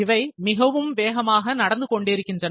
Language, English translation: Tamil, So, these things are taking their place in a very high pace